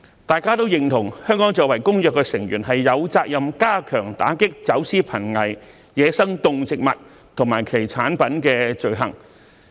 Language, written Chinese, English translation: Cantonese, 大家均認同，香港作為《公約》成員，有責任加強打擊走私瀕危野生動植物及其產品的罪行。, We all agree that as a party to CITES Hong Kong has the obligation to strengthen the combat against the crime of smuggling endangered wildlife and their products